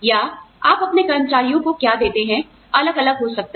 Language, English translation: Hindi, Or, what you give to your employees, can vary